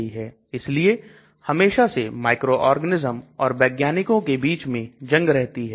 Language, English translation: Hindi, So there is always a war between the microorganism and scientist